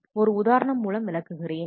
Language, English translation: Tamil, So, let us have a look at the example